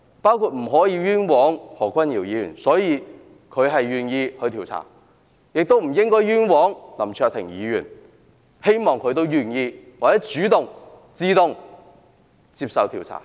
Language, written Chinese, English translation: Cantonese, 我們不能冤枉何君堯議員，所以何君堯議員願意接受調查，我們亦不應該冤枉林卓廷議員，希望他也願意或主動接受調查。, We cannot wrongly accuse Dr Junius HO and so Dr Junius HO is willing to undergo investigation . Similarly we should not wrongly accuse Mr LAM Cheuk - ting; we hope he will agree to or voluntarily subject himself to investigation